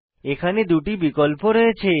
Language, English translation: Bengali, We have two options here